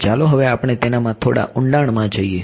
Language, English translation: Gujarati, So now let us go a little bit deeper into that